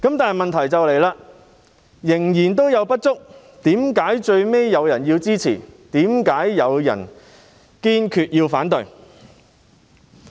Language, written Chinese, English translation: Cantonese, 但問題是，雖然仍有不足，為何最後有議員會支持，有議員會堅決反對？, But the question is though it is insufficient why would some Members support it whilst some Members strongly oppose it in the end?